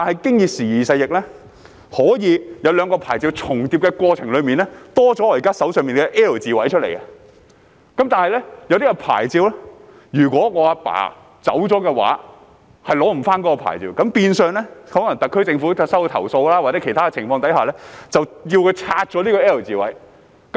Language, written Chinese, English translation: Cantonese, 不過，時而勢易，在兩個牌照重疊的過程中，可以增多了我現時手上展示的 "L 字位"，但有些牌照則是，若家父離世，便無法取回，那麼特區政府在收到投訴或其他情況之下，便會要求居民拆除 "L 字位"。, However things have changed with the times . During the period in which two licences overlapped an L - shaped structure as now shown in my hand might have been added but some licences are not inheritable when the father passes away so upon receipt of a complaint or under other circumstances the SAR Government would ask the residents to remove the L - shaped structure